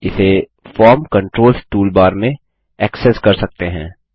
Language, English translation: Hindi, This can be accessed in the Form Controls toolbar